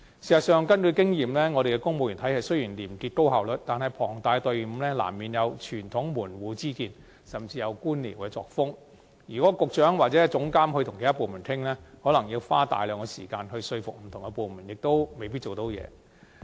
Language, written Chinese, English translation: Cantonese, 事實上，根據經驗，雖然本港公務員體系廉潔且高效率，但龐大的隊伍難免有傳統門戶之見，甚至有官僚作風，如果局長或政府資訊科技總監與其他部門商討，恐怕要耗費大量時間說服不同部門合作，最終更可能徒勞無功。, As a matter of fact for all the probity and efficiency the civil service system of Hong Kong boasts it can hardly be immune to the conventional sectarian views or bureaucratic culture for that matter prevalent among organizations of such a size based on experience . If it is up to the Secretary or the Government Chief Information Officer to hold discussions with the other departments they may have to waste a lot of time persuading those departments to cooperate probably to no avail in the end